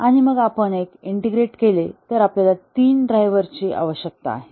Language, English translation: Marathi, And then we integrate one more, and now we need three drivers